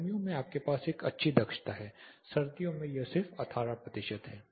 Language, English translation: Hindi, In summer you have a good efficiency winter it is just 18 percentages